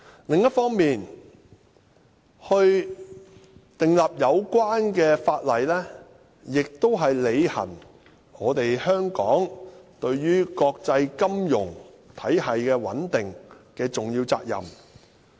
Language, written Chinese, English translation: Cantonese, 另一方面，訂立有關法例，亦是香港履行對於國際金融體系穩定的重要責任。, Meanwhile the enactment of relevant legislation is an act of Hong Kong to fulfil its duty vis - à - vis the stability of the international financial system